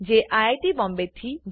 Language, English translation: Gujarati, I am from IIT Bombay